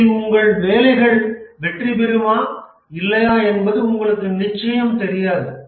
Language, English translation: Tamil, You never know whether your work will have a success or not